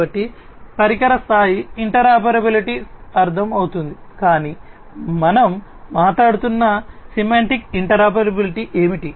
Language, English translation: Telugu, So, device level interoperability is understood, but what is the semantic interoperability that we are talking about